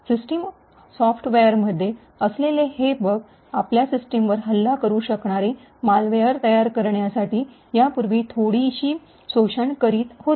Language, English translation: Marathi, So, these bugs present in system software have been in the past exploited quite a bit to create a malware that could attack your system